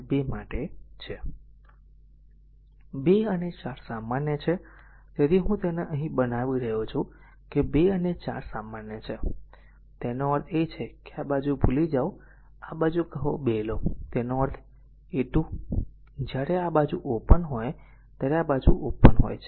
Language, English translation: Gujarati, 2 and 4 is common; so, I making it here that 2 and 4 is common right; that means, we make it as a say your what you call forget about this side forget about this side say take R 1 2; that means, your R 1 2; when this side is open this side is open